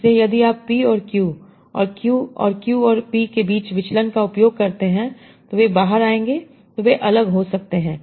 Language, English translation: Hindi, So if you use divergence between P and Q and Q and P, they will come out, they may come out to be different